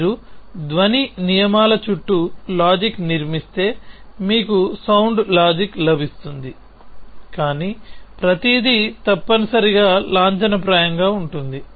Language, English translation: Telugu, If you build logic around sound rules you will get a sound logic it, but everything is formal essentially